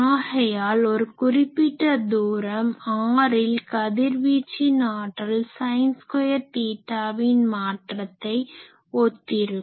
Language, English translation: Tamil, So, at a particular distance r the radiated power that has a sin square theta type variation